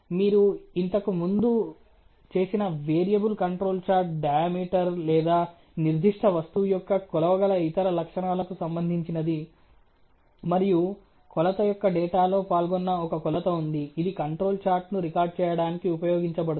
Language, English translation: Telugu, Variable of course, you have done before is related to let us say the diameter or some other measurable characteristic of the particular product, and there is a measurement which is involved in the data of the measurement which is involved which is use for a recording the control chart